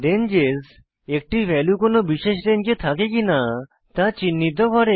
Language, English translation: Bengali, Ranges are used to identify whether a value falls within a particular range, too